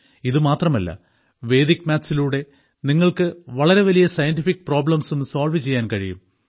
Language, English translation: Malayalam, Not only this, you can also solve big scientific problems with Vedic mathematics